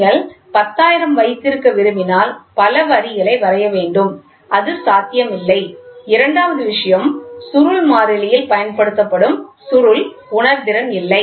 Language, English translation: Tamil, And suppose, if you want to have 10000, then so many lines have to be drawn which is not possible and second thing the spring constant a spring which is used also does not has sensitivity